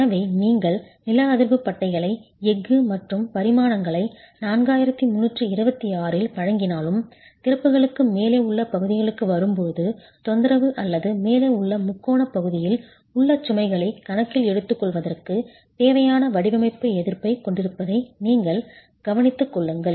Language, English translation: Tamil, So even if you are providing the seismic bands with steel and dimensions as prescribed in 4326, when comes to the portions above the openings you have to take care that it has the necessary design resistance to take into account loads in the triangular area above disturbed or undisturbed